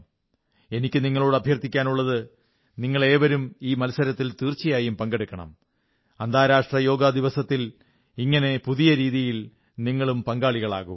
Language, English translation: Malayalam, I request all of you too participate in this competition, and through this novel way, be a part of the International Yoga Day also